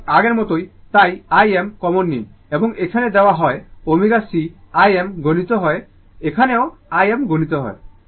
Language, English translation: Bengali, So, same as before, so this is I m you take common, and here it is given omega c I m multiplied, here also I m multiplied